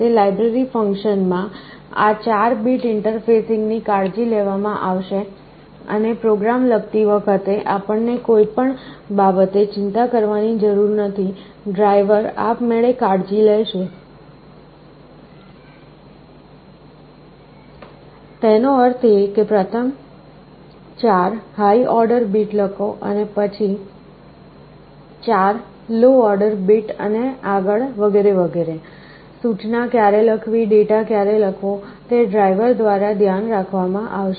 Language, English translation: Gujarati, In that library function, this 4 bit interfacing will be taken care of and while writing the program, we need not have to worry about anything, the driver will automatically take care of; that means, writing the high order 4 bit, first low order 4 bit next and so on and so forth, when to write instruction, when to write data those will be taken care of by the driver